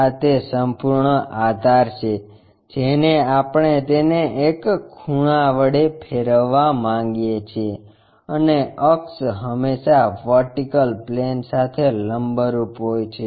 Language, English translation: Gujarati, This is entire base we want to rotate it by an angle and axis is always be perpendicular to vertical plane